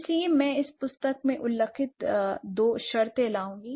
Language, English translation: Hindi, So, for this I would bring two terms as mentioned in this book